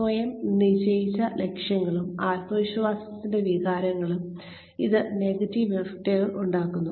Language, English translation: Malayalam, It has negative effects, on self set goals and, on feelings of self confidence